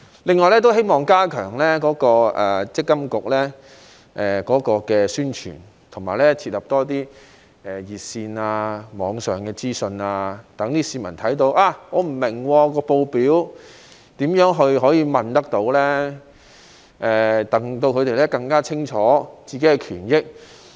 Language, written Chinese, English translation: Cantonese, 此外，我希望積金局能加強宣傳，以及設立更多熱線、網上資訊，讓市民知道當他們不明白報表時可以如何詢問，讓他們可以更清楚他們的個人權益。, In addition I hope the Mandatory Provident Fund Authority can step up publicity set up more hotlines and provide more online information to let people know how to make enquiries when they do not understand the statements so that they can have a better understanding of their rights and benefits